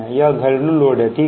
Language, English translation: Hindi, these are domestic loads, right